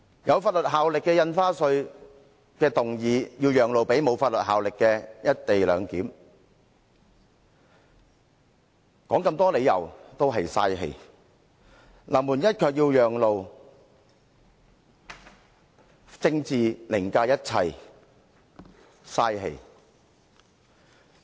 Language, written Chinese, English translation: Cantonese, 有法律效力的《條例草案》要讓路予沒有法律效力的"一地兩檢"議案，說再多理由也是浪費氣力；臨門一腳要讓路，政治凌駕一切，浪費氣力。, The Bill with legal effect has to make way for a motion on the co - location arrangement without legal effect . Any reasons given are merely a waste of time . We are just about to kick the ball into the goal but we still have to give way to the motion